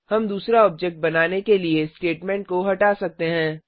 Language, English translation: Hindi, We can remove the statement for creating the second object